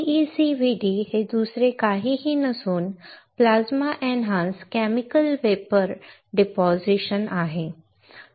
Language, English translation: Marathi, PECVD is nothing but Plasma Enhanced Chemical Vapor Deposition